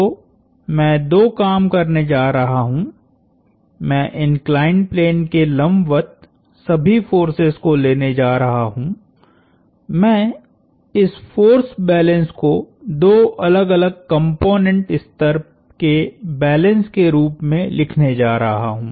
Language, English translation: Hindi, So, I am going to do two things,I am going to take all forces perpendicular to the inclined plane, I am going to write this force balance as two separate component level balances